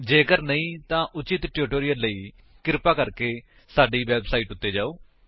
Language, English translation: Punjabi, If not, for relevant tutorials, please visit our website which is as shown